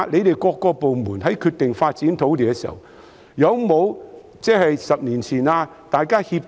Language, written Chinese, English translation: Cantonese, 政府各部門決定發展某幅土地時，會否在發展前互相協調？, Can government departments coordinate with each other before site development say 10 years beforehand?